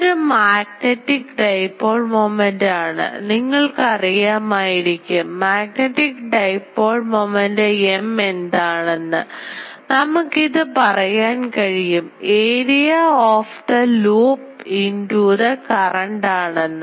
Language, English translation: Malayalam, So, it is a magnetic dipole its magnetic dipole moment you know that magnetic dipole moment M that we can say will be the area of the loop into the current